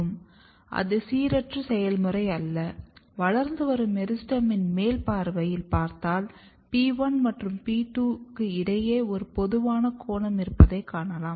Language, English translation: Tamil, So, organogenesis is not a very random process if you look the top view of a growing meristem that between P1 and P2 there is a typical angle